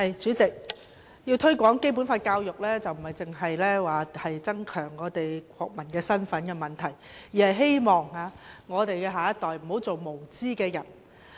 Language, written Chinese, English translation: Cantonese, 主席，要推廣《基本法》的教育，不單是增強國民身份的問題，而是希望我們的下一代不要做無知的人。, President the promotion of Basic Law education is not only about increasing the awareness of our national identity . Rather we also hope that our children will not grow up into ignorant persons